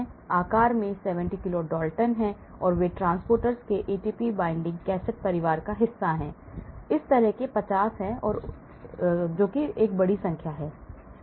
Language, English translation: Hindi, they are 70 kilo Dalton in size, they are part of the ATP binding cassette family of transporters, there are 50 of them, large number of them as you can see